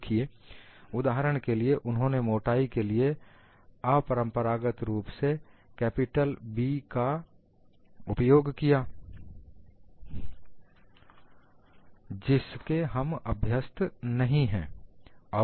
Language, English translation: Hindi, See for example, they use an unconventional capital B as the thickness; this we are not used to